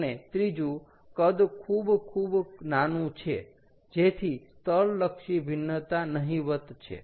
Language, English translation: Gujarati, a third one is: the volume is very, very small, so that the spatial variation is negligible